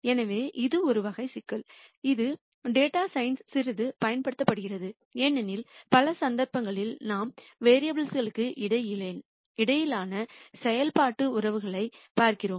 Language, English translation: Tamil, So, this is one type of problem which is used quite a bit in data science because in many cases we are looking at functional relationships between variables